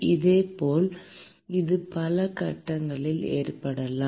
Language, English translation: Tamil, Similarly, it can also occur in multiple phases